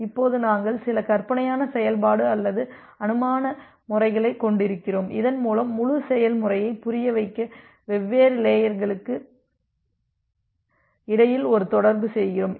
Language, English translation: Tamil, Now, we are we are having some hypothetical function or hypothetical method which is through which we are making a interaction among different layers to make you understand about the entire procedure